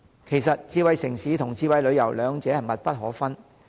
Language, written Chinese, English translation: Cantonese, 其實智慧城市和智慧旅遊兩者的關係密不可分。, In fact there is a closely linked and inseparable relationship between smart city and smart travel